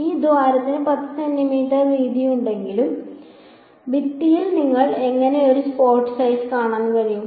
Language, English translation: Malayalam, If this hole is 10 centimeters wide, how what kind of a spot size will you see on the wall